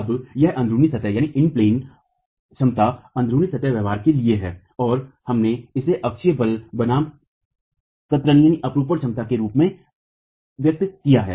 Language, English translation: Hindi, Now this is for in plain capacities, in plain behavior and we have expressed it in terms of shear capacity versus the axial force